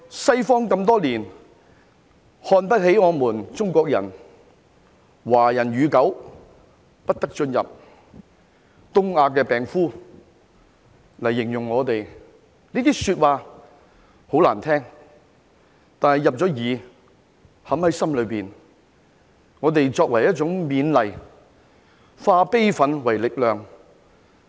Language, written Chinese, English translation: Cantonese, 西方多年來看不起我們中國人，說"華人與狗不得進入"，以"東亞病夫"來形容我們，這些說話很難聽，但已經入耳，已經嵌入心中，我們以此作為一種勉勵，化悲憤為力量。, For many years the West has looked down on us Chinese saying no entry for Chinese and dogs and describing us as the sick man of East Asia . Such words are unpleasant to hear but we have already got them into our ears and carved them into our hearts . But then we take them as a form of encouragement and turn our grief into strength